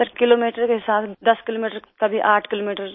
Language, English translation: Hindi, Sir in terms of kilometres 10 kilometres; at times 8